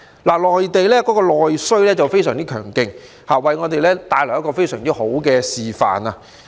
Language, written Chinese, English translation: Cantonese, 內地的內需非常強勁，給我們一個非常好的示範。, The strong domestic demand of the Mainland has set a very good example for us